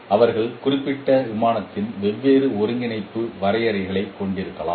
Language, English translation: Tamil, They could have different coordinate definitions in their particular plane